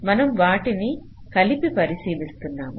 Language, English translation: Telugu, so we are considering them together